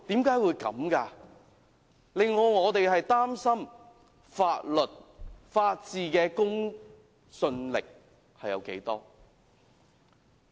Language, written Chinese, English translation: Cantonese, 這令我們擔心法律、法治的公信力還有多少。, We are prompted to worry about the credibility of the law and the rule of law